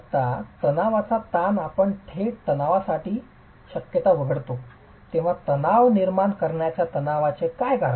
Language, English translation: Marathi, Tensile stresses when we exclude the possibility of direct tension, what leads to the formation of tensile stresses